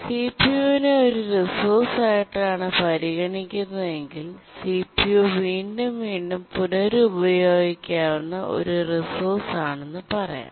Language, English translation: Malayalam, If we consider CPU as a resource, we can say that CPU is a serially reusable resource